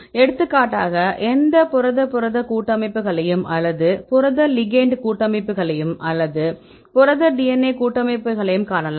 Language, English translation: Tamil, For example you can see any Protein protein complexes or the protein ligand complexes or the protein DNA complexes